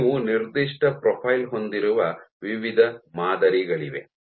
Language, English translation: Kannada, There are various models where you have a given profile